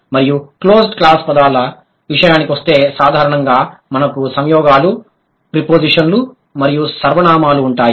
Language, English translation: Telugu, And as far as the closed class words are concerned, generally we have conjunctions, prepositions and pronouns